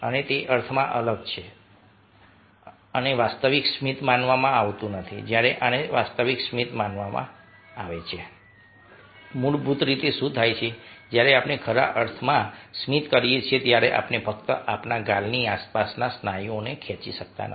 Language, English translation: Gujarati, the face on the right, so they are smile, and there is different in the sense that this may not be considered a genuine smile where, as this would be considered a genuine smile, what basically happens is that when be genuinely smile, we not only smile is to pull of the muscles which are around our chicks